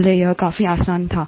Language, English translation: Hindi, Earlier it was fairly easy